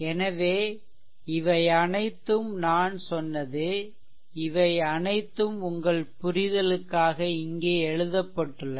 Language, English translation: Tamil, So, all this, whatever I said whatever I said all this things are written here for your understanding right